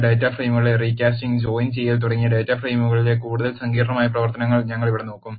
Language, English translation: Malayalam, Here we will look at more sophisticated operations on data frames, such as recasting and joining of data frames